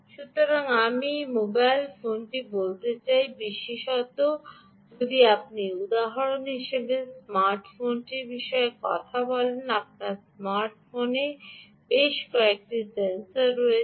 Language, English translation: Bengali, so i would say: mobile phone, particularly if you are talk about a smart phone, ok, ah, if you take a smart phone as an example, ah, you have a number of sensors on the smart phone